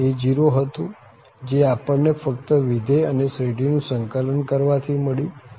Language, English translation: Gujarati, One was a0, which we got just by integrating the function and the series